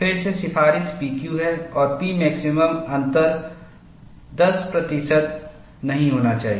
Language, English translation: Hindi, There again, the recommendation is P Q and P max difference should not exceed 10 percent